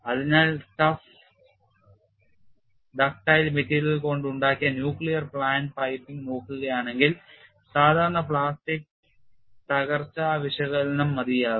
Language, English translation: Malayalam, So, if you look at the nuclear plant piping which is made of tough ductile materials, ordinary plastic collapse analysis will possibly suffice